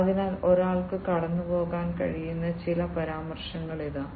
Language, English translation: Malayalam, So, here are some of the references that one can go through